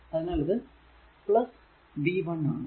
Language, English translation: Malayalam, So, I am writing from v 0